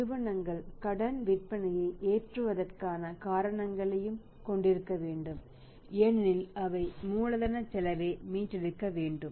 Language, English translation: Tamil, And companies also have to have the reasons to load the credit sales sales because they have to recover the cost of capital